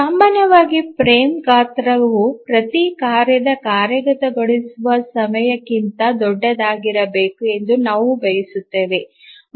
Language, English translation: Kannada, So normally we would need that a frame size should be larger than the execution time of every task